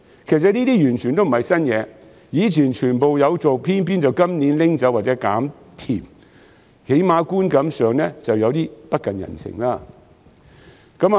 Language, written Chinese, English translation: Cantonese, 這些措施以前全部都有做，但偏偏在今年取消或"減甜"，起碼觀感上顯得有點不近人情。, The Government implemented all of these measures in the past but it has either abolished them or introduced fewer sweeteners this year . This seems a bit unsympathetic at least in terms of perception